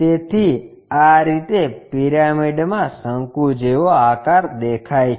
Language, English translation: Gujarati, So, this is the way cone really looks like in the pyramid